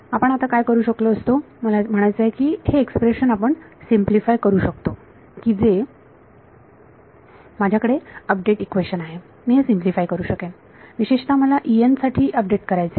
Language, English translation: Marathi, Now what we could do I mean we can simplify this expression that I have this update equation I can simplify this typically I want to update for E n